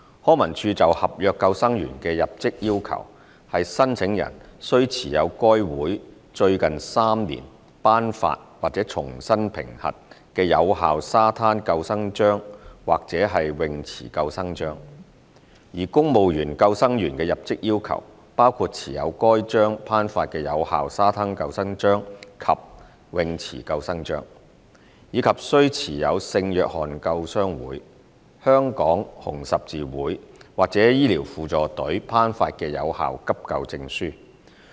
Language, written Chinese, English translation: Cantonese, 康文署就合約救生員的入職要求是申請人須持有該會在最近3年頒發或重新評核的有效沙灘救生章或泳池救生章；而公務員救生員的入職要求包括持有該會頒發的有效沙灘救生章及泳池救生章，以及須持有聖約翰救傷會、香港紅十字會或醫療輔助隊頒發的有效急救證書。, The entry requirements for NCSC seasonal lifeguards in LCSD are the possession of the Beach Lifeguard Award or Pool Lifeguard Award issued or reassessed by HKLSS within the past three years; whereas the entry requirements for civil service lifeguards include the possession of the Beach Lifeguard Award and Pool Lifeguard Award issued by HKLSS as well as possession of a valid first - aid certificate from the St John Ambulance Association Hong Kong Red Cross or Auxiliary Medical Service